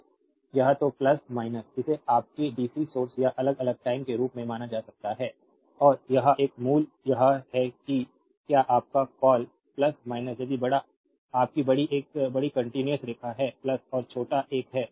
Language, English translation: Hindi, So, either plus minus it can be regarded as your dc source or time varying and this one value you make that one your what you call plus minus if you make the larger your larger one larger continuous line is plus and smaller one is minus